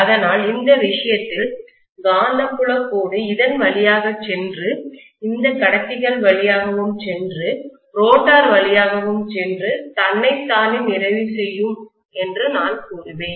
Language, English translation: Tamil, So I would say that in this case, maybe the magnetic field line will pass through this, pass through these conductors, pass through the rotor and complete itself like this